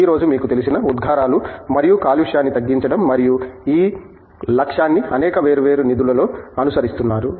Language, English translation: Telugu, The emphasis today as you know is on reducing emissions and pollution and this goal is being pursued in many different funds